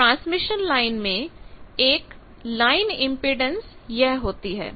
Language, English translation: Hindi, So in the transmission line one of the line impedance is these